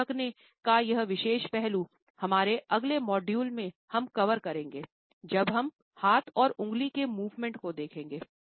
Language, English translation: Hindi, This particular aspect of covering the mouth we will cover when we will look at hand movements and finger movements in our next modules